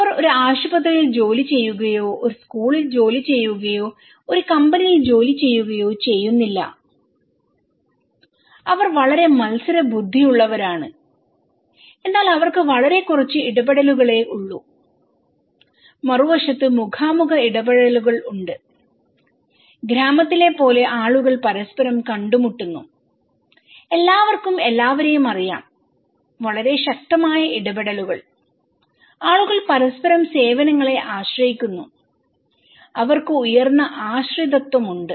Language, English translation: Malayalam, They do not working in a hospital or working in a school or working in a company, they are very competitive but they have very less interactions; face to face interactions on the other hand, we have high one which are people are meeting with each other like in the village okay, everybody knows everyone, very strong interactions and people depend on each other services, they have high dependency